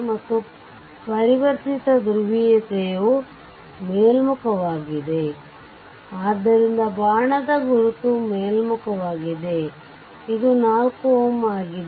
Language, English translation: Kannada, And similarly this one converted polarity was upward, so it is your arrow is upward, so this is 4 ohm